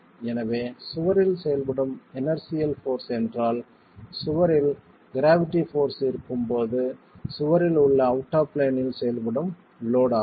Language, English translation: Tamil, So the inertial force acting on the wall is what is the out of plane load acting on the wall in the presence of the gravity force in the wall itself